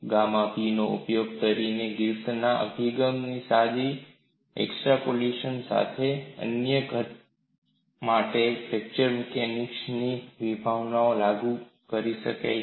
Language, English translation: Gujarati, With the simple extrapolation of Griffith’s approach by using gamma P, he could apply concepts of fracture mechanics for ductile solids